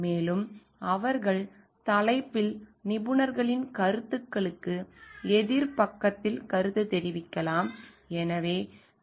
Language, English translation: Tamil, And they can also comment on the opposite side of the experts opinions on the topic